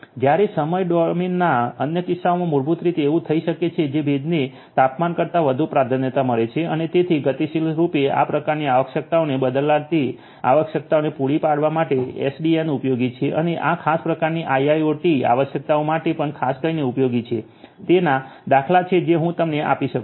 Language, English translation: Gujarati, Whereas, in the other instances of the time domain basically it might so happen that the humidity will have more priority over the temperature and so on to dynamically catered cater to this kind of requirements changing requirements and so on, you know SDN is useful and this is even particularly useful for IIoT requirements of this particular sort there are example of which I just give you